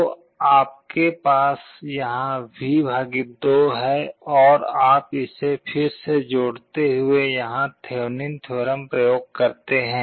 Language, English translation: Hindi, So, you have V / 2 here and you combine this again apply Thevenin’s theorem here